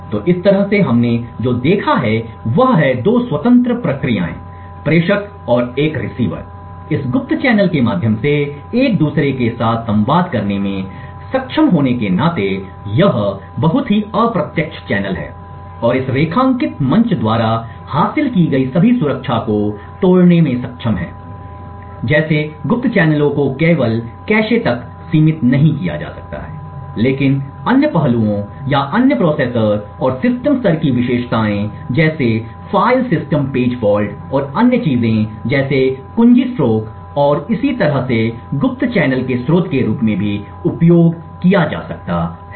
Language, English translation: Hindi, So in this way what we have seen is 2 independent processes a sender and a receiver being able to communicate with each other through this covert channel, this very indirect channel and being able to break all the security that is achieved by this underlined platform, such covert channels may not be restricted only to cache but other aspects or other processor and system level features such as in the file system page faults, and other things like key strokes and so on may be also used as a source of covert channel